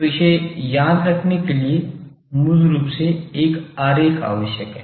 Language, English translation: Hindi, So, to remember that basically one diagram becomes helpful